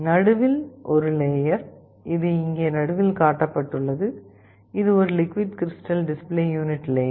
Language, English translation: Tamil, The central thing is a layer, which is shown here in the middle, this is a liquid crystal layer